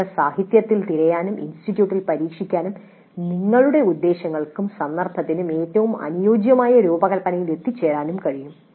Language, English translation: Malayalam, You can search the literature, you can experiment in the institute and arrive at the design which best suits your purposes, your context